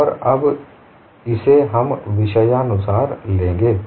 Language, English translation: Hindi, And now we will take case by case